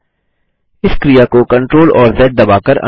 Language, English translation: Hindi, Lets undo this by pressing CTRL and Z keys